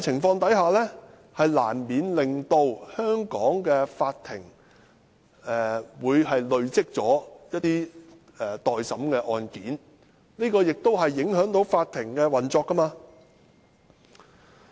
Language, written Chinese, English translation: Cantonese, 這難免令香港的法庭累積很多待審的案件，影響法庭運作。, This will inevitably result in a backlog of cases pending trial thereby affecting the operation of the Courts in Hong Kong